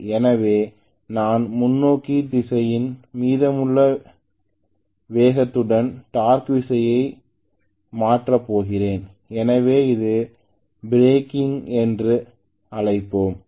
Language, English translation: Tamil, So I am going to have a reversal of torque with the speed still remaining in the forward direction so I would call it as breaking